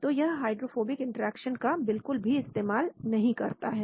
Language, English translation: Hindi, So it does not bring in the hydrophobic interaction at all